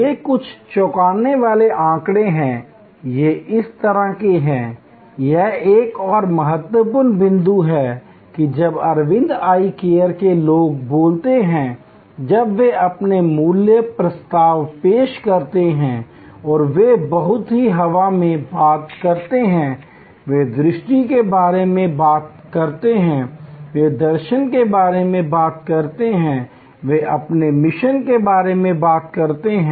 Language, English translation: Hindi, These are some startling data, these are the kind of… This is another important point that when people from Aravind Eye Care they speak, when they present their value proposition, they very seldom talk in the air, they do talk about vision, they do talk about philosophy, they do talk about their mission